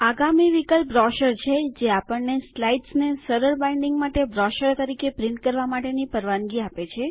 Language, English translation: Gujarati, The next option, Brochure, allows us to print the slides as brochures, for easy binding